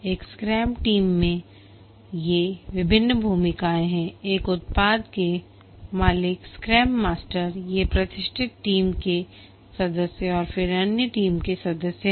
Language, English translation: Hindi, In a scrum team, there are the product owner who is one of the team members, the scrum master who is another team member and the other team members